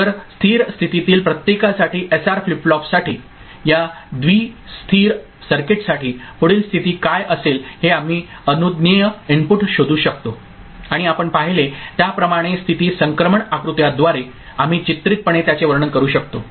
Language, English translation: Marathi, So, for each of the stable state, for SR flip flop, this bi stable circuit, we can figure out for the allowable inputs what would be the next state and it can we can pictorially depict it through state transition diagram as you have seen here